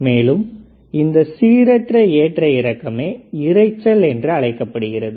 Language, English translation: Tamil, This random fluctuation is called noise